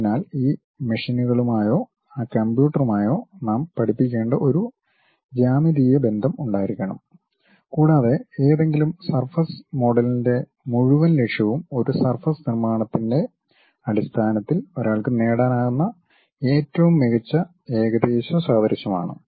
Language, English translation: Malayalam, So, there should be a geometric relation we have to teach it to these machines or to that computer and whole objective of any surface model is the best approximation what one can get in terms of constructing a surface